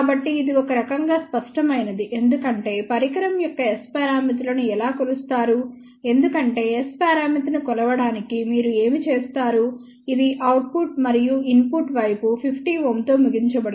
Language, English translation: Telugu, So, this is kind of obvious because that is how S parameters of the device is measured because, what you do to measure S parameter, which terminate the output and the input side with 50 ohm ok